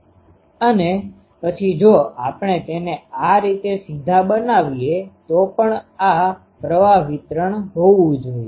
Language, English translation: Gujarati, And, then if we just make it like this straight to then also this should be the current distribution